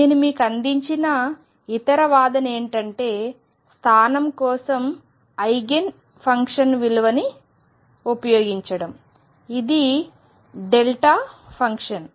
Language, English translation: Telugu, The other argument I gave you was using the Eigen function for position, which is a delta function